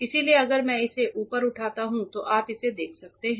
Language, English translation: Hindi, So, if I lift it up you can see this